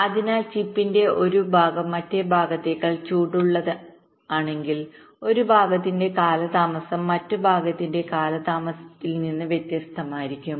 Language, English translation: Malayalam, so if one part of chip is hotter than other part, so may be the delay of one part will be different from the delay of the other part